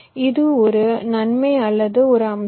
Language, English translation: Tamil, this is one advantage or one feature